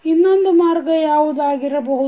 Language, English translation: Kannada, What can be the other path